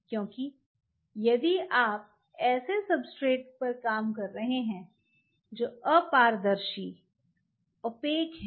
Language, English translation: Hindi, Why that is important because if you are working on substrate which are opaque